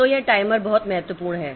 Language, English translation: Hindi, So, so this is this timer is very important